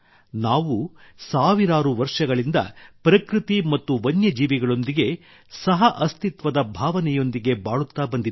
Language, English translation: Kannada, We have been living with a spirit of coexistence with nature and wildlife for thousands of years